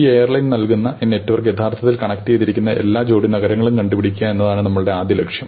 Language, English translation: Malayalam, So, our first goal maybe to compute every pair of cities, which are actually connected by this network served by this airline